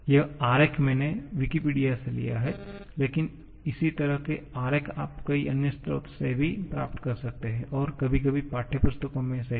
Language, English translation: Hindi, This diagram I have taken from Wikipedia but similar kind of diagrams you can get from several other sources also and sometimes even in textbooks also